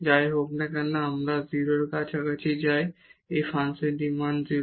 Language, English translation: Bengali, So, the function will take the value 0